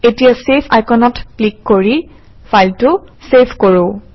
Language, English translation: Assamese, Let us Savethe file by clicking on Save icon